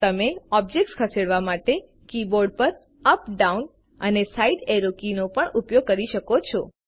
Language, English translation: Gujarati, You can also use the up, down and side arrow keys on the keyboard to move an object